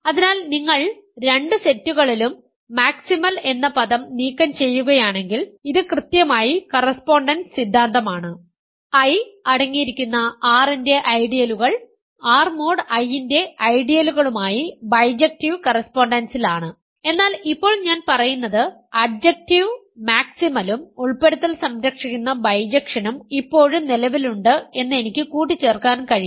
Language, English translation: Malayalam, So, if you remove the word maximum, maximal in both the sets this is exactly the correspondence theorem, ideals of R containing I are in bijective correspondence with ideals of R mod I, but now I am saying that I can add the adjective maximal and the inclusion preserving bijection still exists